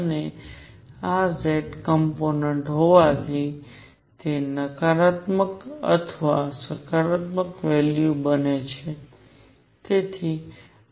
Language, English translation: Gujarati, And since this is z component it could take negative or positive values both